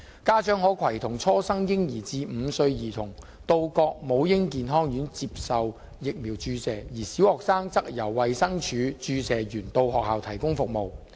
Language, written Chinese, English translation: Cantonese, 家長可攜同初生嬰兒至5歲兒童到各母嬰健康院接受疫苗注射，而小學生則由衞生署注射員到學校提供服務。, Parents may bring their children from birth to five years of age to the various Maternal and Child Health Centre for immunization . Inoculators of DH will visit primary schools to provide immunization service to primary students